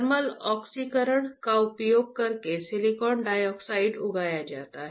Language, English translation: Hindi, Silicon dioxide is grown using thermal oxidation, alright